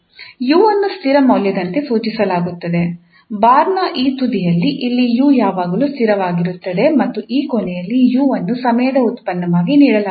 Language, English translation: Kannada, So at this end throughout the time, so here the time varies but at this end of this bar here u is always fixed and at this end u is given as a function of time